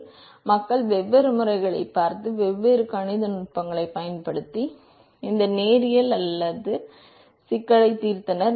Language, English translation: Tamil, So, people had looked at different methods, and solved these non linear problem using different mathematical techniques